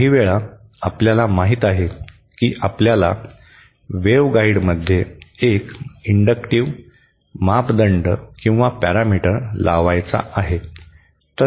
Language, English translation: Marathi, Sometimes, you know, we want to introduce an inductive parameter within a waveguide